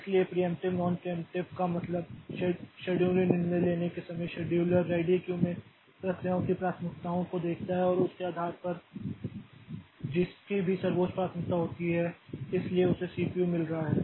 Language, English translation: Hindi, So, preemptive means at the time of taking a scheduling decision the scheduler looks into the priorities of the processes in the ready queue and based on that whichever process has the highest priority so it is getting the CPU